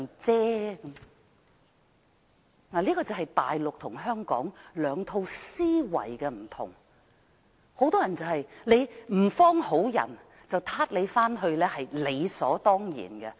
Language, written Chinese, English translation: Cantonese, 這就是大陸與香港兩套思維的分別，很多人認為如某人不是甚麼好人，被抓回去也是理所當然的。, This is the difference between the mindsets of the Mainland and Hong Kong . Many people think that if a person is no good he ought to be arrested and repatriated